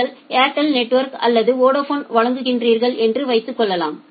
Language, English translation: Tamil, Say if you are purchasing network from Airtel or from say Vodafone